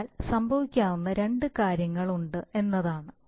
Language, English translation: Malayalam, So what happens is that the, there are two things that could happen